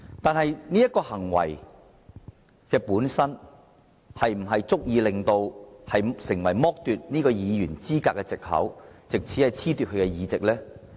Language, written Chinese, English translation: Cantonese, 但這種行為本身是否足以成為剝奪其議員資格的藉口，藉此褫奪其議席呢？, Nevertheless is the act itself sufficient to constitute an excuse for disqualifying him from office thereby stripping him of his seat?